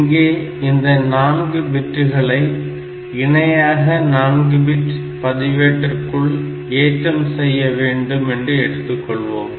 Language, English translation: Tamil, So, these 4 bits may be loaded parallel or so if this is a 4 bit register